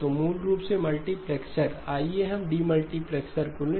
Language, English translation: Hindi, So basically a multiplexer, let us take the demultiplexer